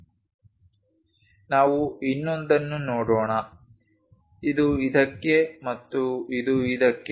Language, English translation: Kannada, Let us look at other ones, this to this and this to this